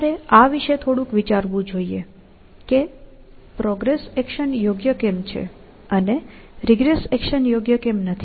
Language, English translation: Gujarati, You should ponder by little bit over this, as to why is the progress action sound, and the regress action not sound, essentially